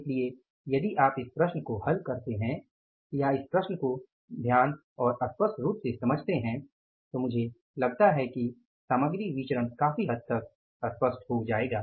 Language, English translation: Hindi, So, if you do this problem or understand this problem carefully and clearly I think material variances will be clear to a larger extent